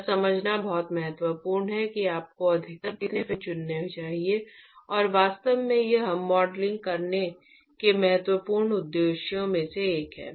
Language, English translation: Hindi, It is very very important to understand what should be the maximum number of fins that should you should choose, and in fact this is one of the important purposes of doing modeling